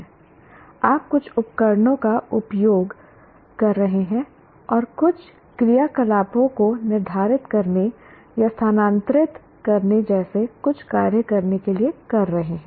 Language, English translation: Hindi, You are doing, you are using some equipment and performing some activities to determine or to do some operation like transferring